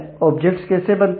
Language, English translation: Hindi, How the objects get created